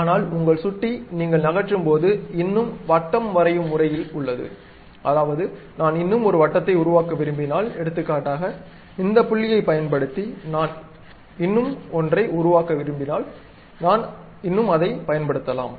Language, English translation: Tamil, But still your mouse, if you are moving is still in the circle mode, that means, if I would like to construct one more circle, for example, using this point I would like to construct one more, I can still use it